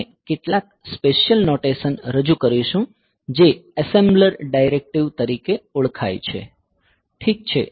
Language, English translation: Gujarati, So, we will introduce some special notations which are known as assembler directives ok